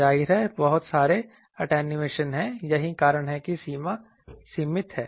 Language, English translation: Hindi, Obviously, there are lot of attenuation that is why the range is limited